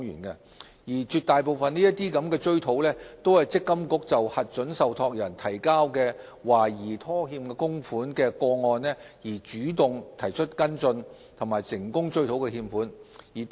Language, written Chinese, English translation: Cantonese, 在絕大部分個案中，積金局根據核准受託人提交的懷疑拖欠供款的資料，主動作出跟進，最終成功追討欠款。, In a vast majority of cases based on the information on suspected default on MPF contributions provided by approved trustees MPFA has taken follow - up actions proactively and has eventually recovered the contributions in arrears